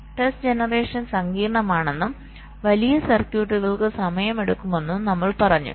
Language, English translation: Malayalam, we also said the test generation is complex and it takes time, particularly for larger circuits